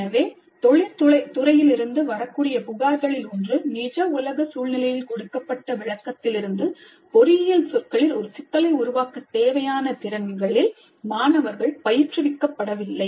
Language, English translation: Tamil, So one of the complaints from industry has been that students are not being trained in the skills required to formulate a problem in engineering terms from a description given of the real world scenario